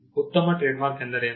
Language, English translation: Kannada, What is a good trademark